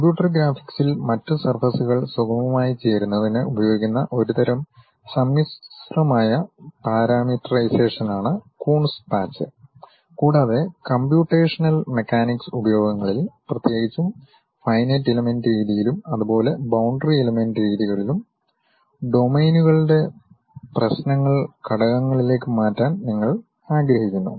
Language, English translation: Malayalam, A Coons patch, is a type of manifold parameterization used in computer graphics to smoothly join other surfaces together, and in computational mechanics applications, particularly in finite element methods and boundary element methods, you would like to really mesh the problems of domains into elements and so on